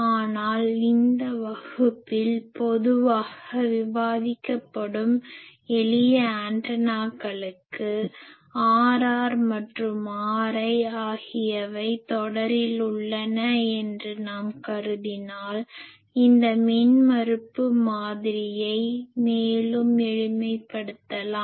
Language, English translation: Tamil, But for simple antennas which will be generally discussing in this class, if we assume that R r and R l are in series, then we can further simplify this impedance model that will go